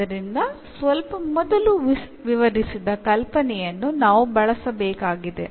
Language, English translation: Kannada, So, we have to use the idea which is described just before